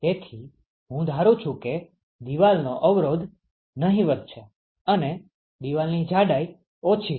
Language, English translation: Gujarati, So, I am assuming that wall resistance is negligible and the wall thickness is small ok